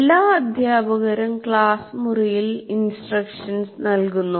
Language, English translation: Malayalam, All teachers do instruction in the classroom